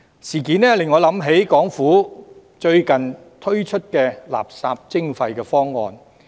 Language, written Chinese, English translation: Cantonese, 事件令我想起港府最近推出的垃圾徵費方案。, The said incident has reminded me of the proposal of waste charging introduced by the Hong Kong Government lately